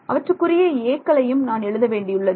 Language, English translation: Tamil, I have to write the corresponding a’s